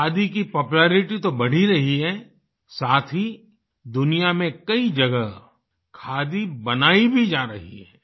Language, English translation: Hindi, Not only is the popularity of khadi rising it is also being produced in many places of the world